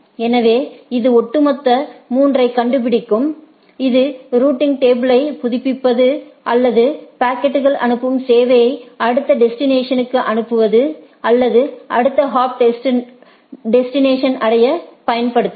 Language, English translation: Tamil, So, it finds out the overall 3 and this can be used for updating the routing table or the service forwarding the packets to the next destination or rather next hop to reach the destination